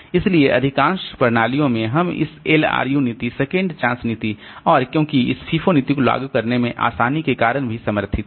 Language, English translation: Hindi, So, in most of the systems you will find this LRU policy, second chance policy, and because of this ease of implementation, the FIFO policy is also supported